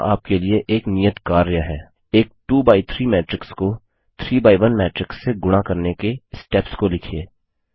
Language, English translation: Hindi, Here is an assignment for you: Write steps for multiplying a 2x3 matrix by a 3x1 matrix